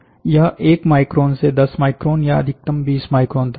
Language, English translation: Hindi, This will be from 1 micron to 10 micron or 20 micron maximum